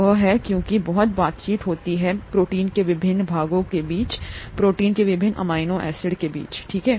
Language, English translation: Hindi, That is because; there is a lot of interaction that happens between the various parts of the protein, the various amino acids in the protein, okay